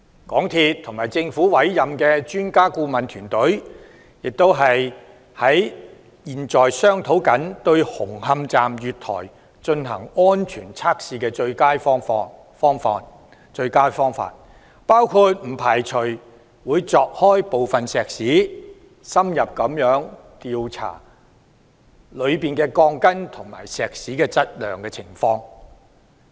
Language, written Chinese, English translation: Cantonese, 港鐵公司和政府委任的專家顧問團，亦正在商討對紅磡站月台進行安全測試的最佳方案，包括不排除會鑿開部分石屎、深入調查內部鋼筋和石屎的質量。, MTRCL is also discussing with the Expert Adviser Team appointed by the Government the best way to conduct safety tests of the platform of the Hung Hom Station . They do not rule out the possibility of opening up some concrete for in - depth investigation into the quality of the steel reinforcement bars and concrete therein